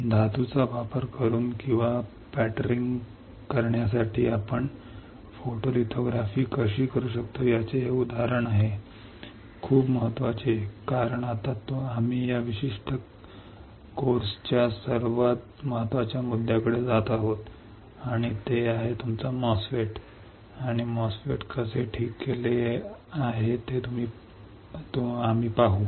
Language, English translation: Marathi, This is an example of how we can do a photolithography using or for pattering the metal; very important because now we are going to the most important point of this particular course and that is your MOSFET, and we will see how the MOSFET is fabricated all right